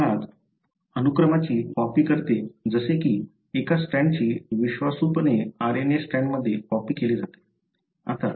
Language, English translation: Marathi, It basically copies the sequence such that, one of the strands is faithfully copied it into an RNA strand